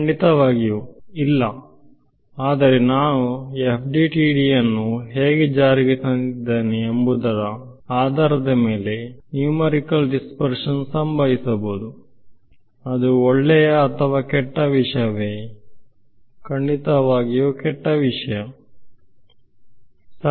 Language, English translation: Kannada, Obviously, no; but numerically dispersion may happen depending on how I have implemented FDTD so, would it be a good thing or a bad thing; obviously, a bad thing right